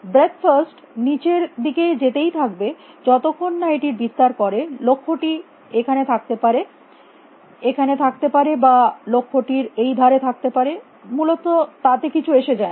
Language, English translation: Bengali, Breadth first will go down and down and down till it expands the goal could be here the goal could be here or goal could be this side it does not matter from that essentially